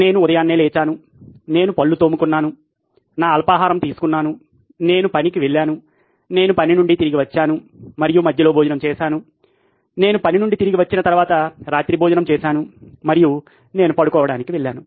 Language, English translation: Telugu, I woke up in the morning, I brush my teeth, I had my breakfast, I went to work, I came back from work and I had lunch in between, I had dinner after I came back from work and I went to bed